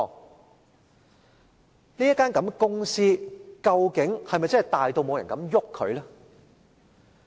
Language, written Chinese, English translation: Cantonese, 究竟這間公司是否真的大到沒人敢碰它？, Is this company really so big that no one dares to touch it?